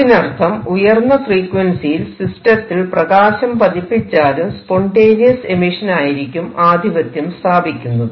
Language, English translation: Malayalam, So, at high frequencies even if you are to shine light on systems the spontaneous emission will tend to dominate